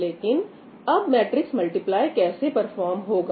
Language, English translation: Hindi, So, how would my matrix multiply perform now